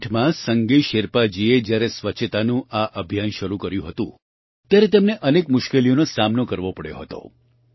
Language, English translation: Gujarati, When Sange Sherpa ji started this campaign of cleanliness in the year 2008, he had to face many difficulties